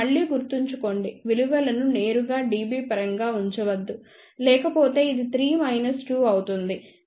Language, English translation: Telugu, Again please remember do not put the values directly in terms of dB otherwise this would become 3 minus 2